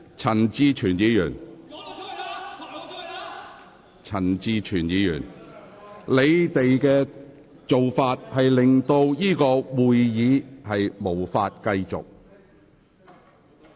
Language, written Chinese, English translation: Cantonese, 陳志全議員和各位議員，你們的做法令會議無法繼續。, Mr CHAN Chi - chuen and Members your actions have rendered the meeting unable to continue